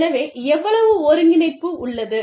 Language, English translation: Tamil, So, how much of coordination, there is